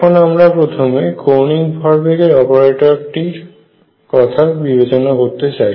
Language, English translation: Bengali, So, let us now focus on the angular momentum operator